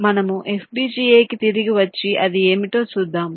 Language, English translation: Telugu, you see, lets come back to fpga and see what it was